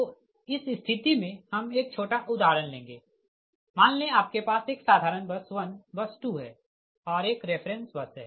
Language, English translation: Hindi, so in this case will take one small example right, suppose you have a simple your your bus, one bus two and one reference bus is there